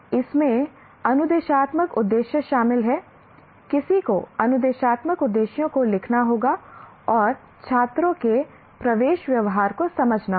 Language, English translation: Hindi, Somebody will have to write the instructional objectives and understand the entering behavior of the students